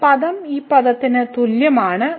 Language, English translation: Malayalam, So, this term is equal to this term